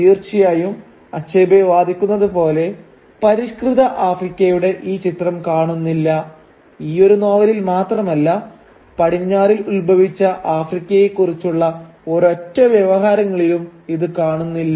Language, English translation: Malayalam, Indeed, as Achebe argues, this image of a civilised Africa is found missing, in not only merely this one novel, it is found missing in all the discourses about Africa that has originated in the west